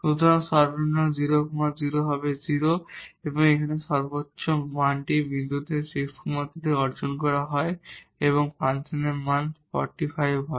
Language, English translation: Bengali, So, the minimum at 0 0 will be 0 and the maximum value here is attained at the point 6 3 and the value of the function is 6 45